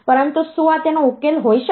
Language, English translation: Gujarati, But can it be a solution